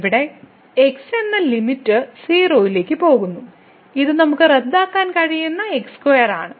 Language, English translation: Malayalam, So, here the limit goes to and this is square we can cancel out